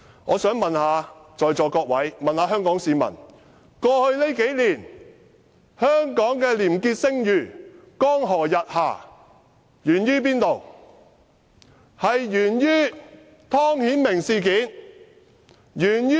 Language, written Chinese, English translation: Cantonese, 我想問在座各位和香港市民，數年來，香港的廉潔聲譽江河日下，原因何在？, I would like to ask Honourable colleagues and Hong Kong people why has Hong Kongs clean reputation been declining these few years?